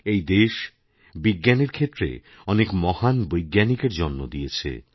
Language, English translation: Bengali, This land has given birth to many a great scientist